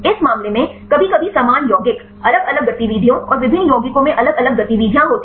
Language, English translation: Hindi, In this case, sometimes similar compounds; different activities and the different compound has dissimilar activities